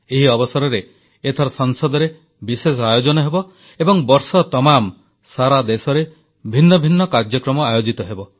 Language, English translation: Odia, This occasion will be marked by a special programme in Parliament followed by many other events organised across the country throughout the year